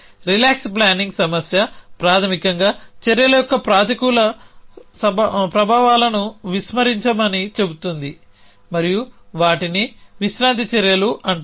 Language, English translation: Telugu, The relax planning problem is basically says ignore the negative effects of actions and those are called relax actions